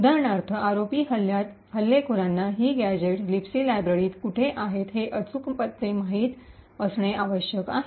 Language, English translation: Marathi, For example, in the ROP attack, the attacker would need to know the exact addresses where these gadgets are present in the Libc library